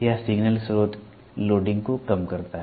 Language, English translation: Hindi, This minimizes the loading of the signal source